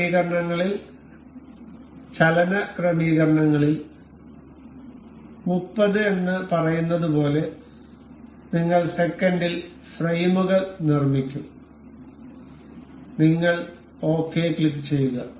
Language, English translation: Malayalam, And in the settings, motion settings, we will make the frames per second as say 30, you click ok